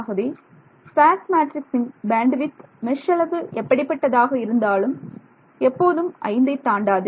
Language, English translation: Tamil, So, the spareness of this matrix the bandwidth of this sparse matrix cannot exceed 5